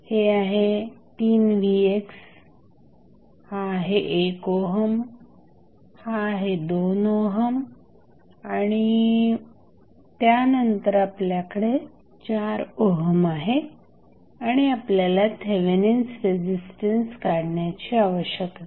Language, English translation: Marathi, So, this is 3 Vx this is 1 ohm this is 2 ohm and then you have 4 ohm and you need to find out the Thevenin resistance